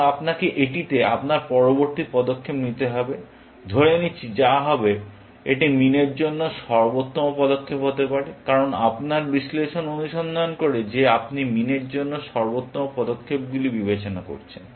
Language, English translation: Bengali, Now, you will have to your next move at this, assuming that this happens to be the best move for min, which will be the case, because your analysis search that you are considering the best moves for min